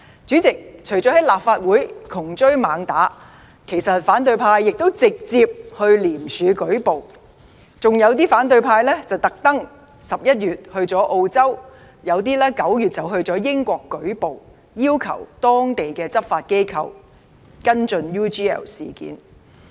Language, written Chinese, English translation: Cantonese, 主席，除了在立法會"窮追猛打"，其實反對派亦有直接向廉政公署舉報，還有一些反對派特地在11月時到澳洲、有些則在9月時到英國舉報，要求當地執法機構跟進 UGL 事件。, President besides the hot pursuit in the Legislative Council the opposition has actually reported the case to the Independent Commission Against Corruption ICAC in person . Some Members of the opposition even went to Australia in November others went to Britain in September to report the case to the respective law - enforcing institutions and urged them to follow up the UGL case